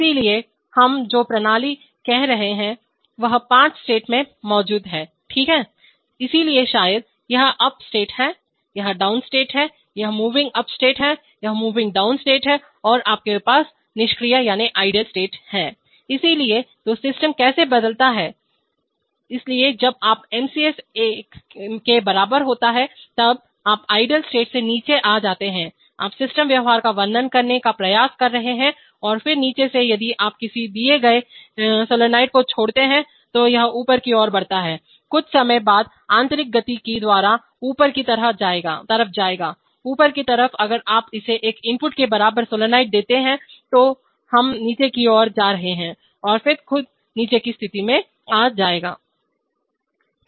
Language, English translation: Hindi, So, the system we are saying exists in five states okay, so maybe this is up, this is down, this is moving up and this is moving down and somewhere here you have idle, so when you get, so how does the system change states, so you have from idle to down when MCS equal to one, you are trying to describe the system behavior and then from down if you give a given up solenoid then it goes to the moving upstate, from there by internal dynamics after sometime it will go to the upstate, in the upstate if you give it down solenoid equal to one input then we will be moving down state and then by itself will come to the down state